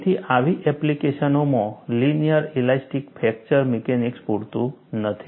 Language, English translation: Gujarati, So, in such applications, linear elastic fracture mechanics would not be sufficient